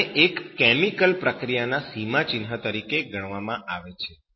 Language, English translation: Gujarati, So this is regarded as milestone one of the chemical in a process